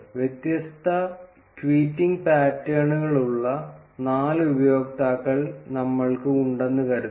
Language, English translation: Malayalam, Suppose we have four users, who have different tweeting patterns